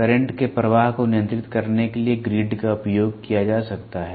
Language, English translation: Hindi, The grid can be used to control the flow of current